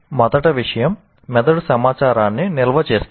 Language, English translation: Telugu, First thing is the brain stores information